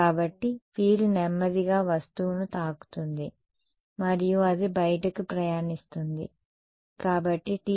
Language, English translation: Telugu, So, the field is slowly hit the object and then its travelling outwards